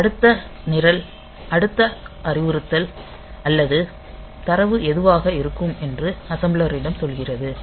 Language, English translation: Tamil, So, this is just telling the assembler that the next program the next instruction or data whatever it is